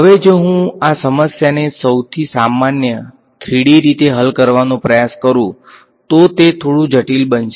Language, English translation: Gujarati, Now, if I try to solve this problem in the most general 3d way it is going to be a little bit complicated